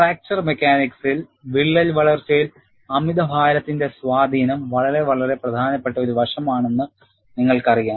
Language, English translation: Malayalam, And you know, in fracture mechanics, influence of overload on crack growth is a very very important aspect